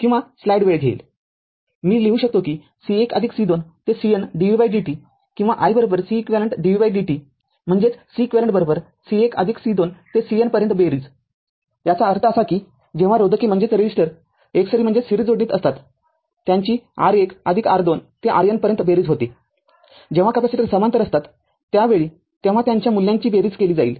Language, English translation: Marathi, I can write we can write I C 1 plus C 2 up to C N dv by dt or i is equal to C q dv by dt ; that means, C eq is equal to C 1 plus C 2 up to C N sum it up; that means, when resistor are in the series we are summing r 1 plus r 2 up to r n say when the capacitors are in parallel at that time their value will be that thing will be summed up right